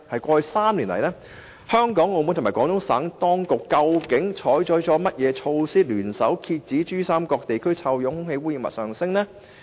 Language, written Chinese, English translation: Cantonese, 過去3年來，香港、澳門和廣東省當局究竟採取了甚麼措施，聯手遏止珠三角地區臭氧濃度上升呢？, What measures have been taken by Hong Kong Macao and the Guangdong Provincial authorities over the past three years to jointly curb the rise of ozone concentration in the PRD Region?